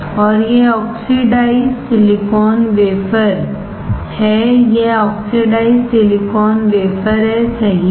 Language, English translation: Hindi, And this is oxidized silicon wafer, this is oxidized silicon wafer, right